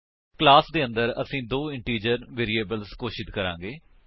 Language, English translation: Punjabi, Inside the class, we will declare two integer variables